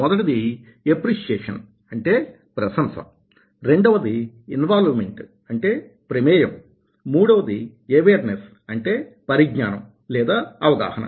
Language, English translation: Telugu, first one is appreciation, second one is involvement and third one is awareness of personal situations